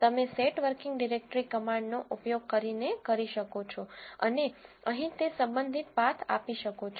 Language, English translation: Gujarati, That you can do using set working directory command and the corresponding path you can give here